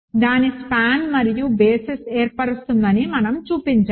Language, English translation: Telugu, We have shown that its spans and forms a basis